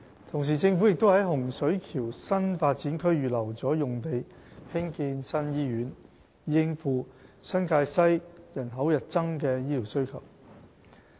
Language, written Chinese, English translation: Cantonese, 同時，政府也在洪水橋新發展區預留了用地興建新醫院，以應付新界西人口日增的醫療需求。, At the same time the Government has reserved a site at Hung Shui Kiu New Development Area for the construction of a new hospital to meet the growing health care demand of the population in NTW